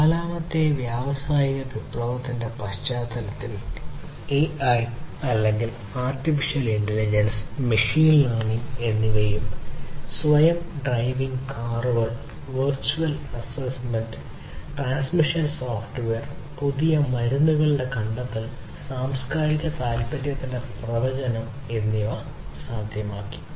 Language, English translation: Malayalam, So, in the context of the fourth industrial revolution, use of AI or artificial intelligence and in fact, not only artificial intelligence but machine learning also has made it possible to have self driving cars, virtual assessment, transitional software, discovery of new drugs, prediction of cultural interest, and many different other things have been made possible with the use of artificial intelligence